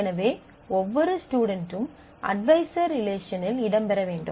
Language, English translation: Tamil, So, every student must feature in the advisor relationship